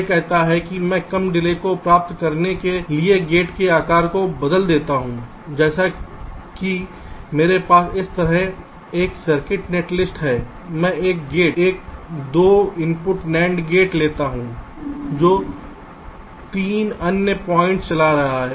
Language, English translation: Hindi, it says that i change the size of the gate to achive a lower delay, like: suppose i have a circuit netlist like this: i take one gate, ah, two input nand gate which is driving three other points